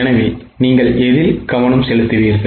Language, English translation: Tamil, So, which one will you focus